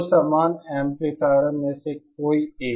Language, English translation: Hindi, Any anyone of the two identical amplifiers